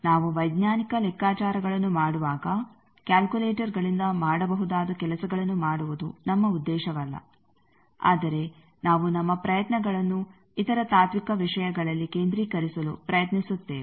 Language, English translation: Kannada, When we do a scientific calculation our aim is not to do those things that can be done by calculators, but we try to concentrate our efforts in other philosophical things